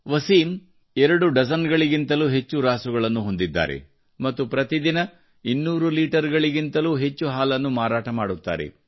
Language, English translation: Kannada, Wasim has more than two dozen animals and he sells more than two hundred liters of milk every day